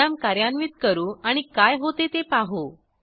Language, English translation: Marathi, Let us execute the program and observe what happens